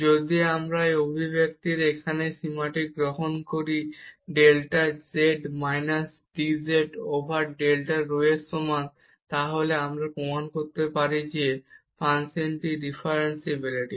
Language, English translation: Bengali, If we take this limit here of this expression delta z minus dz over delta rho is equal to 0, then we can prove that the function is differentiable